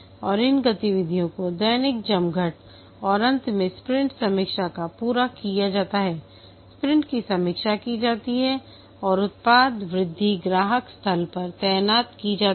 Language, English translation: Hindi, And finally the sprint review, the sprint is reviewed and the product increment is deployed at the customer site